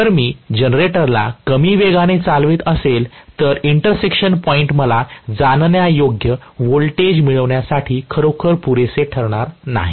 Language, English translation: Marathi, If I am driving the generator at a very very low speed, then also the intersection point will not be really good enough for me to get any perceivable voltage